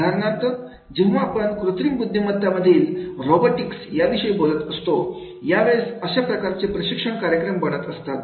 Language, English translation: Marathi, For example, when we talk about the robotics and artificial intelligence, then they are becoming the mechanisms for this type of the training programs